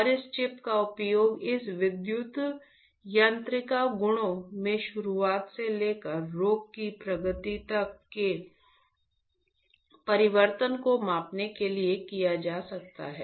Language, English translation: Hindi, And, this chip can be used to measure the change in this electro mechanical properties from onset to the disease progression